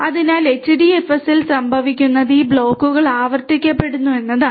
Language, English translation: Malayalam, So, what happens in HDFS is this blocks are replicated